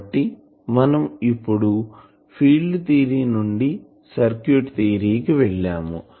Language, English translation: Telugu, So; that means, we can now go at our will from field theory to circuit theory